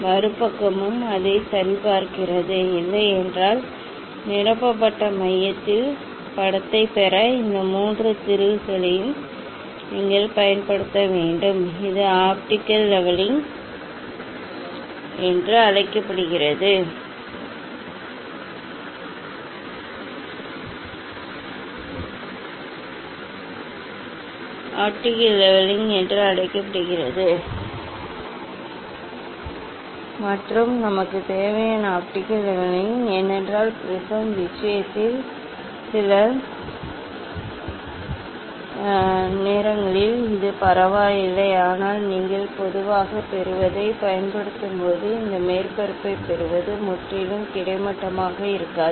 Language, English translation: Tamil, Other side also check it; if not, then you should you should use this three screw to make it to get the image at the centre of the filled, this is the this called optical levelling and that optical levelling we required, because some times in case of prism this is the does not matter, but when you will use getting generally what happen this getting this surface in it may not be perfectly horizontal